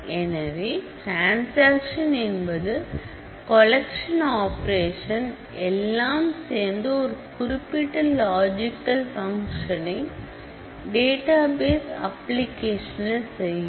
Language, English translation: Tamil, So, a transaction is a collection of operation, that performs a single logical function in a database application